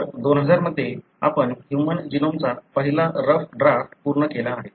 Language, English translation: Marathi, So, in 2000, we have completed the first rough draft of the human genome